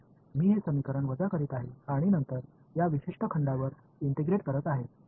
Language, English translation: Marathi, Here that is why I am subtracting these equation and then integrating over one particular volume